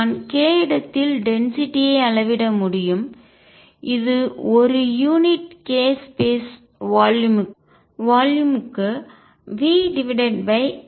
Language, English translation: Tamil, So, I can measure density in k space is v over 8 pi cubed per unit k space volume